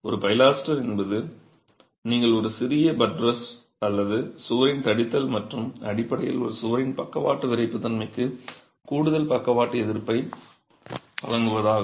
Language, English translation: Tamil, A pilaster is where you have a thickening of the wall like a small buttress and is basically meant to provide a, provide additional lateral resistance to a wall, lateral stiffness to a wall